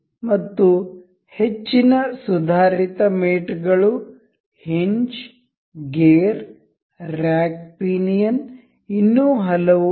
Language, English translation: Kannada, And higher advanced mates, hinge, gear, rack pinion, there are many more